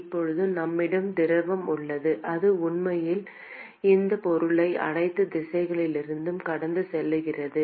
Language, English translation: Tamil, Now we have fluid which is actually flowing past this object on all directions